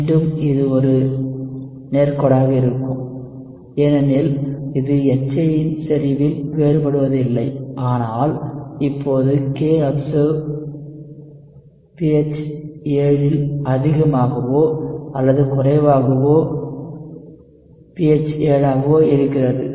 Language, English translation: Tamil, Again it will be a straight line because it does not vary on concentration of HA, but now will the kobserved be higher or lower at pH 7, pH 7 means right